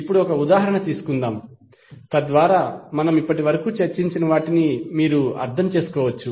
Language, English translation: Telugu, Now, let us take one example so that you can understand what we discuss till now